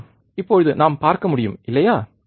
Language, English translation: Tamil, So, yes, now we can see, right